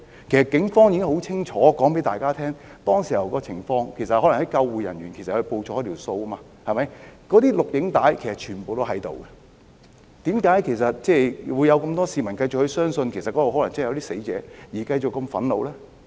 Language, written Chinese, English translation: Cantonese, 警方已清楚告訴大家當時的情況，可能是救護人員報錯人數，那些錄影紀錄全部都存在，為何還有這麼多市民繼續相信那裏可能真的有人死亡而感到憤怒？, The ambulance crew might have reported the wrong number of people . All those video records are there . Why do so many people still believe that some people might have really died there and feel angry about it?